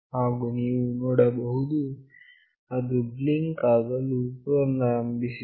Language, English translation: Kannada, And you can see that it has started to blink again,